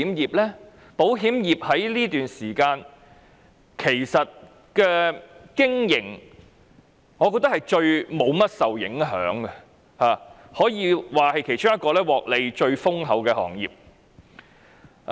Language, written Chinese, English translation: Cantonese, 我認為保險業在這段期間其實是在經營上最不受甚麼影響的行業，也可以說是其中一個獲利最豐厚的行業。, I consider the insurance industry the least affected in terms of operation and it is perhaps one of the most lucrative industries during this period